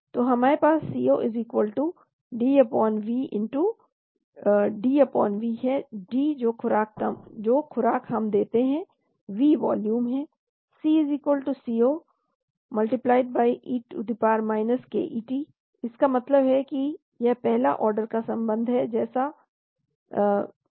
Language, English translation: Hindi, So we have C0=D/V, D is the dose we give, V is the volume, C=C0 e ket, that means this is the first order relationship